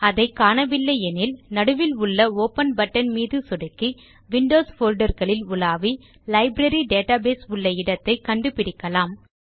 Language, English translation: Tamil, If you dont see it, we can click on the Open button in the centre to browse to the Windows directory where Library database is saved